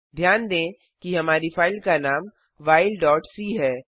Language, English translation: Hindi, Note that our file name is while.c